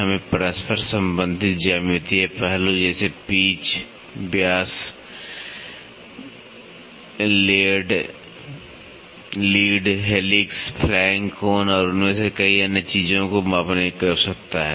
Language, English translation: Hindi, We need to measure the interrelated geometric aspect such as pitch diameter, lead, helix, flank angle and many other things amongst them